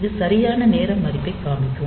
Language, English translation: Tamil, So, it will be displaying the correct time value